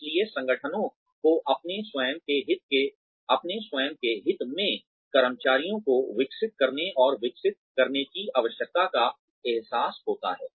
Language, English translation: Hindi, So, the organizations realize the need for employees, to grow and develop, in their own areas of interest